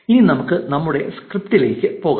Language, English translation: Malayalam, Now, let us go back to our script